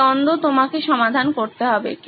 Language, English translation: Bengali, This is the conflict that you have to resolve